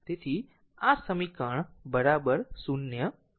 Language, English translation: Gujarati, So, this is equation is equal to 0